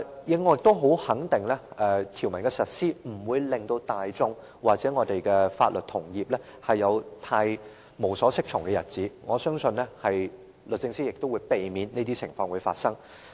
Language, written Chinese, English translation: Cantonese, 此外，我也肯定實施《條例草案》，不會令大眾或我們的法律同業有太無所適從的日子，我相信律政司亦會避免這些情況發生。, Furthermore I am also sure the implementation of the Bill will not cause much confusion to the public or fellow legal practitioners and the Department of Justice will also prevent such a scenario from happening